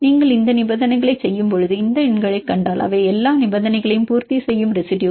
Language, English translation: Tamil, If you do these conditions then if you see these numbers which are the residues which satisfy all the conditions